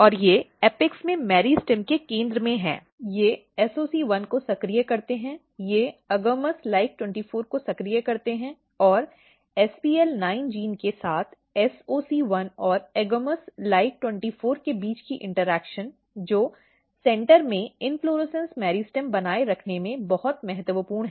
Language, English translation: Hindi, And they in the apex if you look here in the center of the meristem they activate SOC1, they activate AGAMOUS LIKE 24 and the interaction between SOC1 and AGAMOUS LIKE 24 along with SPL NINE genes are very important in maintaining inflorescence meristem in the center